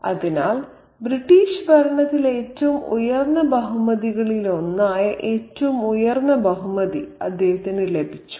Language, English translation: Malayalam, So, he has been accorded the highest honor, one of the highest honors in the British governance